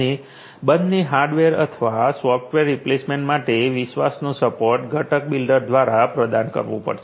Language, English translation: Gujarati, And the trust support for both hardware or software replacements will have to be provided by the component builder